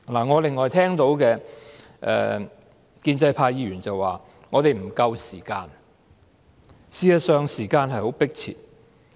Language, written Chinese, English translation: Cantonese, 我另外聽到建制派議員說我們沒有足夠時間，而事實上，時間是十分迫切的。, Moreover I have heard Members from the pro - establishment camp say we do not have enough time and as a matter of fact time is running out